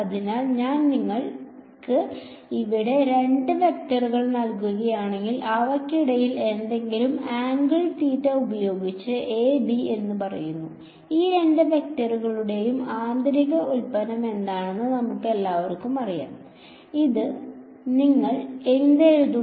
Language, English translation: Malayalam, So, if I give you two vectors over here say a and b with some angle theta between them ,we all know the inner product of these two vectors is; what would you write it as